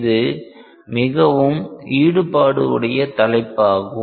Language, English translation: Tamil, It is a very involved topic